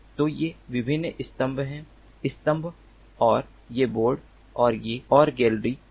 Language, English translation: Hindi, so these are the different columns, the pillars, and these are the the bord and the gallery